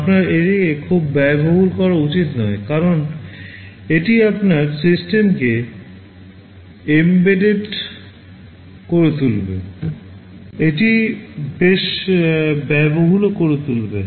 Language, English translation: Bengali, You should not make it too expensive because that will also make your system inside which it is embedded, it will make that also quite expensive